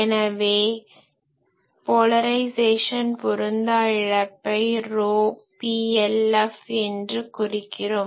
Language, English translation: Tamil, So, polarization mismatch loss this is PLF